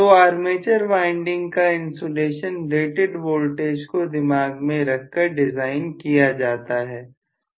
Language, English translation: Hindi, So the insulations of armature windings would have been designed with the rated voltage in mind